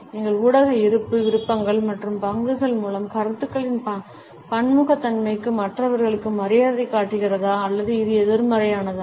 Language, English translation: Tamil, Does our media presence show a respect for other people for the diversities of opinions through likes and shares also or is it a negative one